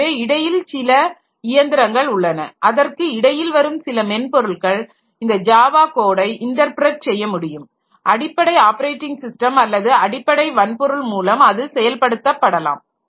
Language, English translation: Tamil, But the problem is that so there is some machine that comes in between or so some software that comes in between that can interpret this Java code and get it executed by the underlying operating system or the underlying hardware